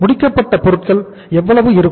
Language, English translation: Tamil, So finished goods stock is going to be how much